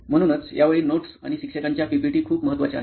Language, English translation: Marathi, So that is why notes and teacher’s PPTs are very important this time